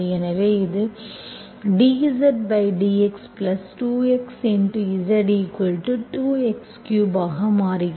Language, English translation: Tamil, So it becomes dz by dx + 2 xz equal to 2x cube